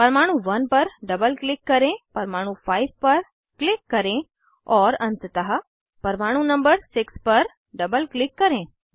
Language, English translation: Hindi, Double click on atom 1, click on atom 5 and lastly double click atom number 6